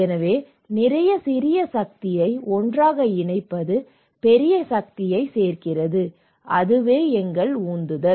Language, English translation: Tamil, So, putting a lot of small power together adds that the big power that is our motivation